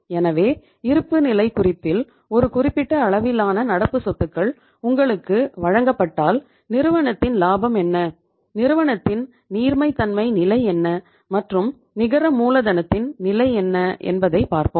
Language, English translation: Tamil, So we will have to see now the effect that if you are given a given a certain level of current assets in the balance sheet then we will see what is the profitability of the firm, what is the liquidity position of the firm and what is the net working capital position of the firm